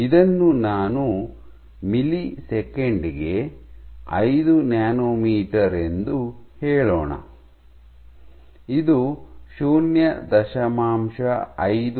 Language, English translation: Kannada, 5 nanometer per millisecond and this is 0